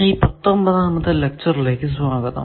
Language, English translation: Malayalam, Welcome to this lecture, 19th lecture